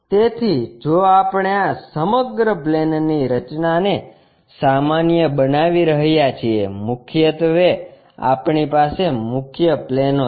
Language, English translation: Gujarati, So, if we are generalizing this entire planes concept, mainly, we have principal planes